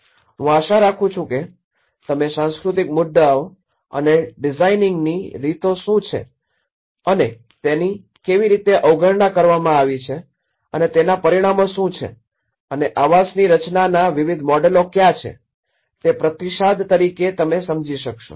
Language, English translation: Gujarati, I hope you understand the cultural issues and what are the ways of designing and how it has been overlooked and as a response what are the consequences of it and what are the various models of designing the housing